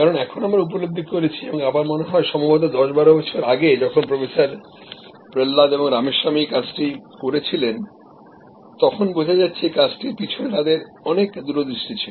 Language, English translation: Bengali, Because, now we realize and when Professor Prahalad and Ramaswamy did this work I think maybe 10, 12 years back at that time there was lot of far sight in this